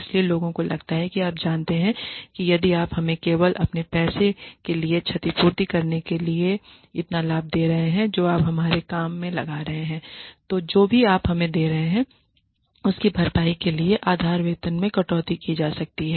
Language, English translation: Hindi, So, people feel that you know if you are giving us so much of benefit just to compensate for your for the money that you are putting into our work the base salary may be cut to compensate for whatever you are giving us